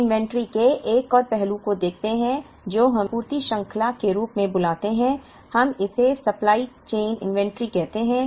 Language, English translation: Hindi, We look, at one more aspect of inventory, which let us call as supply chain; we call it supply chain inventory